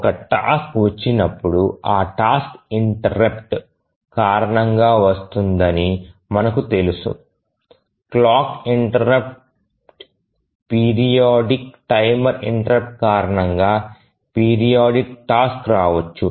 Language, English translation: Telugu, When a task arrives, we know that the tasks arrive due to an interrupt, maybe a periodic task can arrive due to a clock interrupt, a periodic timer interrupt